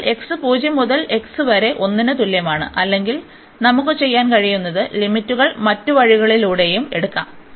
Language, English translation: Malayalam, So, x is equal to 0 to x is equal to 1 or what we can do we can take the limits other way round as well